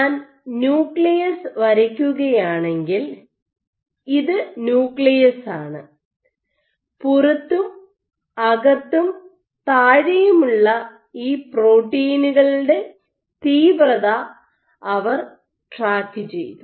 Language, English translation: Malayalam, So, again if I were to just draw the nucleus, you see this is my nucleus they were tracking outside inside and bottom intensity of these proteins